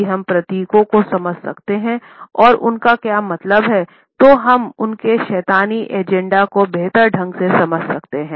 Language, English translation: Hindi, If we can understand the symbolisms and what they really mean we can better understand their satanic agenda